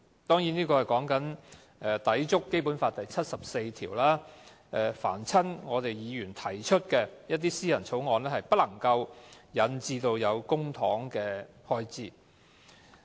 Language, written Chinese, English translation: Cantonese, 當然，這是有關抵觸《基本法》第七十四條，該條訂明議員提出的法律草案不能夠涉及公帑的開支。, This actually involves the contravention of Article 74 of the Basic Law which provides that Members are not permitted to put forward any bills with charging effect